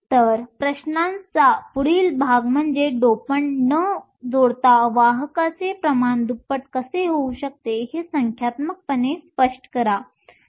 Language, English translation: Marathi, So, the next part of the questions says explain numerically how the carrier concentration can be doubled without adding dopants